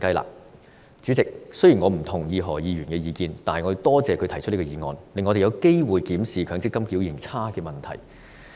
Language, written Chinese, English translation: Cantonese, 代理主席，雖然我不認同何議員的意見，但我亦感謝他提出這項議案，令我們有機會檢視強積金表現差的問題。, Deputy President although I do not agree to the views of Dr HO I would like to thank him for proposing this motion which has given us an opportunity to examine the problem of unsatisfactory performance of MPF schemes